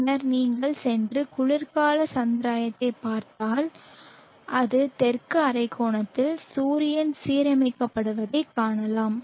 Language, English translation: Tamil, Then if you go along and look at the winter solve sties you see that it is the sun is align in the southern hemisphere